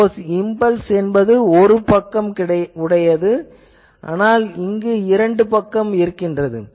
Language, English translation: Tamil, Now, you can say that impulse is one sided, but why there are 2